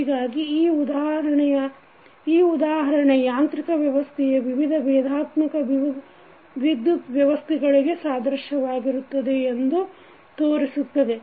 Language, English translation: Kannada, So, this example shows that how the different quantities of mechanical system are analogous to the electrical system